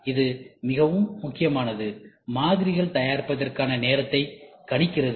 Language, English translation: Tamil, So, this is very important, predicting the amount of time to fabricate models